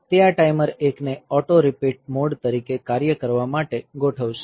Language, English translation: Gujarati, So, it will configure this timer 1 to act as auto repeat mode